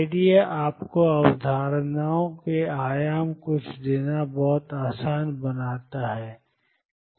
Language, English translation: Hindi, Idea is to give you the concepts one dimension makes it easy